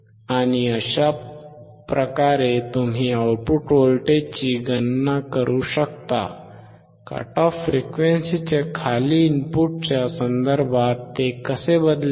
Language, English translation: Marathi, And that is how you can calculate the output voltage, how it will change with respect to input below the cut off frequency